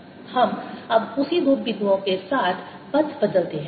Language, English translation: Hindi, now let's change the path with the same two points